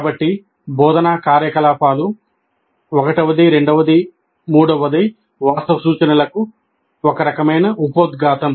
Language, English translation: Telugu, So the instructional activities 1 2 3 form a kind of preamble to the actual instruction